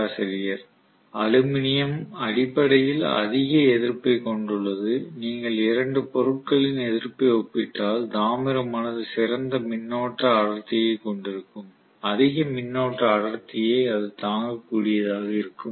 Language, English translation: Tamil, Aluminum has basically higher resistivity if you compare the resistivity of the two materials copper will have better current density, higher current density it will be able to withstand